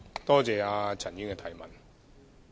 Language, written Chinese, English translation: Cantonese, 多謝陳議員的提問。, I thank Ms CHAN for her question